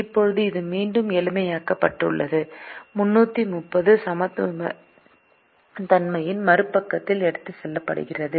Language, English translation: Tamil, now this is again simplified to the three hundred and thirty is taken to the other side of the inequality